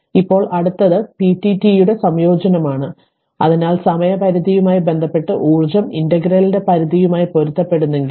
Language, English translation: Malayalam, So, now next is the integration of p dt so the it is it if the energy associated with the time interval corresponding to the limits on the integral right